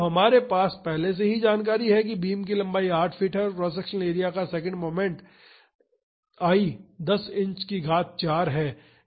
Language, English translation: Hindi, So, the information we already have is the length of the beams is given that is 8 feet and second moment of cross sectional area is given that is I 10 inch to the power 4